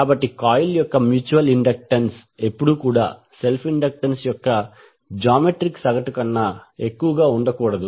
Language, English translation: Telugu, So that means the mutual inductance cannot be greater than the geometric mean of the self inductances of the coil